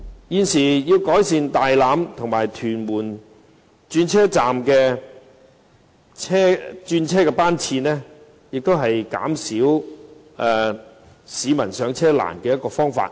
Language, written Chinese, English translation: Cantonese, 現時增加大欖和屯門轉車站的轉車班次，也是減輕市民上車困難的一個方法。, At present the increase of bus frequency at Tai Lam Tunnel Bus Interchange and Tuen Mun Road Bus Interchange is another solution to address the boarding problems of the public